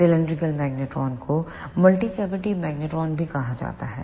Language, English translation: Hindi, The cylindrical magnetron is also called as multi cavity magnetron